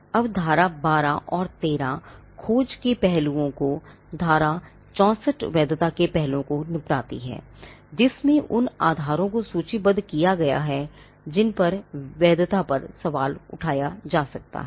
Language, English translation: Hindi, Now section 12 and 13 deals with aspects of search aspects of validity are dealt in section 64, which lists the grounds on which a validity can be questioned